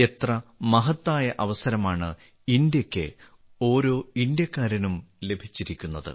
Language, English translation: Malayalam, What a great opportunity has come for India, for every Indian